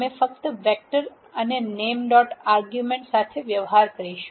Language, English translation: Gujarati, We will deal with only vectors and names dot argument